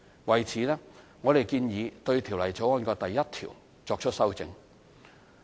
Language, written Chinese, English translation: Cantonese, 為此，我們建議對《條例草案》第1條作出修正。, In this connection we propose to amend clause 1 of the Bill